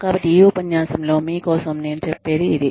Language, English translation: Telugu, So, that is all i have, for you in this lecture